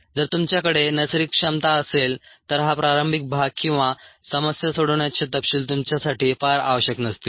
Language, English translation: Marathi, if you have the natural ability, then this initial part or the details of the problem solving may not be very necessary for you